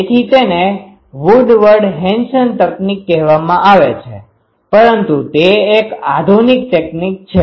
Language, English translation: Gujarati, So, that is called Woodward Henson technique for this but that is a advance technique